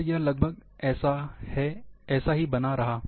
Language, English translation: Hindi, That remained almost same